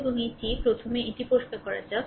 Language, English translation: Bengali, So, let me let me clear it first